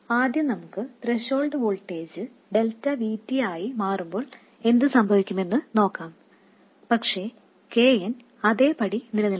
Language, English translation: Malayalam, First, let's look at what happens when the threshold voltage changes by delta VT, but KN remains as it was